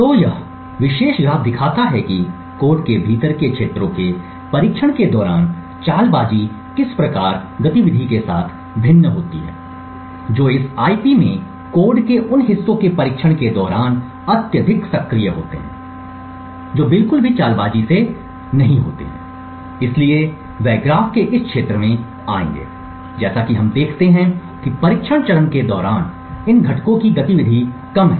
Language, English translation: Hindi, So, this particular graph shows how the stealth varies with the activity during testing for areas within the code which are highly active during testing those parts of the code in this IP are not stealthy at all, so they would come into this region of the graph as the stealth increases what we see is that the activity of these components during the testing phase is less